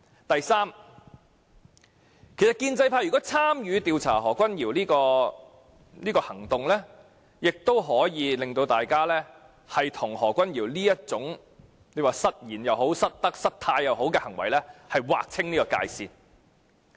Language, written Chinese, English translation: Cantonese, 第三，如建制派參與調查何君堯議員，亦可讓他們與何君堯議員這種失言、失德、失態行為劃清界線。, Thirdly by participating in an inquiry concerning the conduct of Dr Junius HO Members of the pro - establishment camp can make a clean break with his slip of tongue and unethical and inappropriate behaviour